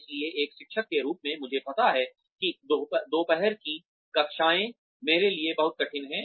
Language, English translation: Hindi, So, as a teacher, I know that, afternoon classes are very difficult for me